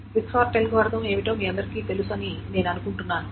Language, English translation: Telugu, And I am assuming all of you know what the quick sort algorithm is